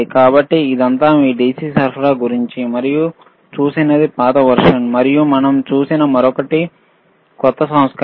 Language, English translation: Telugu, So, this is all about your DC power supply, one that we have seen is older version, and other that we have seen is a newer version